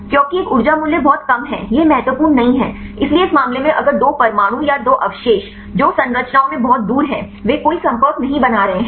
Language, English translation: Hindi, Because a energy values is very less it is not significant, so in this case if the two atoms or the two residues which are far away in the structures they are not making any contacts